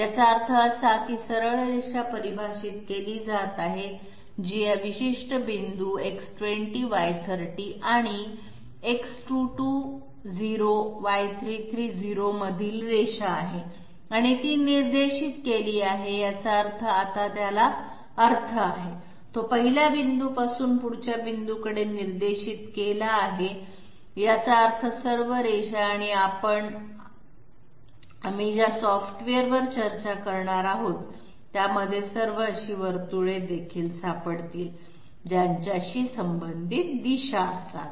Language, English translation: Marathi, This means that the straight line is being defined which is line between these particular points X20Y30 and X220Y330 and it is directed that means it has a sense now, it is directed from the first point to the next point, which means all lines and you will find all circles also in a the software that we are going to discuss, they are supposed to have a direction associated with them